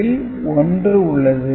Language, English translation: Tamil, So, these are 0 0